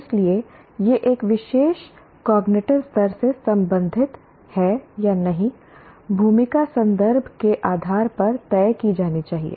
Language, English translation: Hindi, So the role of whether it belongs to a particular cognitive level or not should be decided based on the context